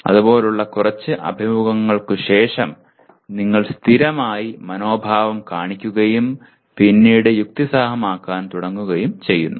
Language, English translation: Malayalam, Then after few encounters like that you have consistently shown the attitude then you start rationalizing